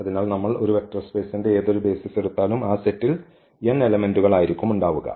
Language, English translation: Malayalam, So, whatever basis we take the dimension is n of the vector space then there has to be n elements in the set